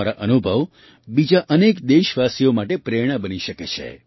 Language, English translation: Gujarati, Your experiences can become an inspiration to many other countrymen